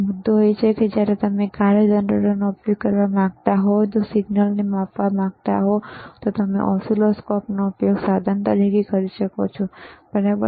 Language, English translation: Gujarati, The point is, if you want to use function generator, and you want to measure the signal, you can use oscilloscope as an equipment, all right